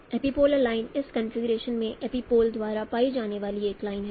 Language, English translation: Hindi, Epipolar line is a line formed by the epipole in this configuration